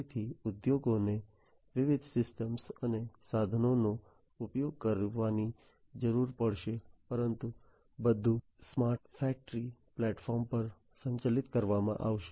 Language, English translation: Gujarati, So, industries will need to use diverse systems and equipment but everything will be integrated on the smart factory platform